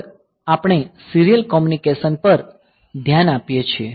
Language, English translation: Gujarati, So, next we look into the serial communication